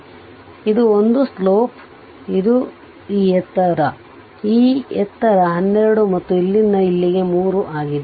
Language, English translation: Kannada, So, it is a slope it is this height, it is this height it is 12 right and this is from here to here it is 3